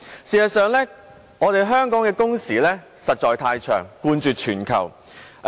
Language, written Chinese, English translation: Cantonese, 事實上，香港的工時實在太長，冠絕全球。, As a matter of fact working hours in Hong Kong being the longest in the world are indeed too long